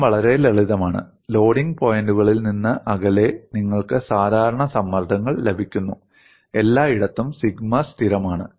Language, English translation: Malayalam, The problem is so simple, away from the points of loading, you get the normal stresses, sigma is constant everywhere